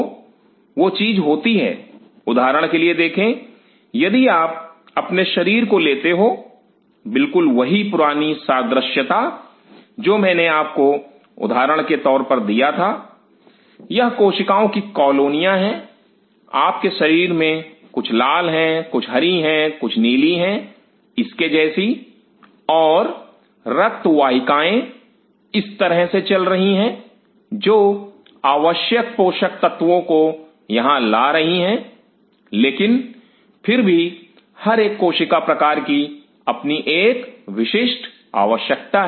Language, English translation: Hindi, So, such thing happens, see for example, if you consider your body just that old analogy; what I gave you for example, these are colonies of cells in your body some are red some are green some are blue like this and blood vessel is traveling like this which is bringing the necessary nutrients out here, but still every cell type has a specific requirement